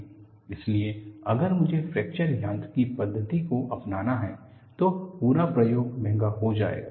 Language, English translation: Hindi, So, if I have to adopt a fracture mechanics methodology, the whole program becomes expensive